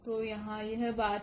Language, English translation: Hindi, So, that is the point here